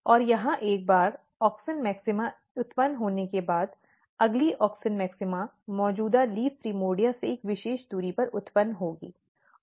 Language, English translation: Hindi, And the one auxin maxima is generated here, the next auxin maxima will be generated at a particular distance from the existing leaf primordia